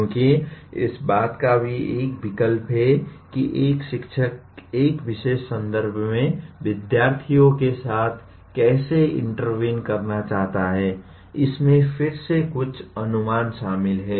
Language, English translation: Hindi, Because, even a choice of how a teacher wants to intervene with the students in a particular context you again there are some assumptions involved in that